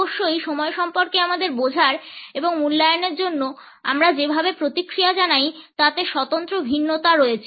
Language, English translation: Bengali, There are of course, individual variations in the way we respond to our understanding of time and evaluate